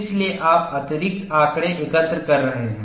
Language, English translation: Hindi, So, you are collecting additional data